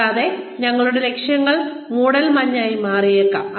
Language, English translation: Malayalam, And, our goals could become foggy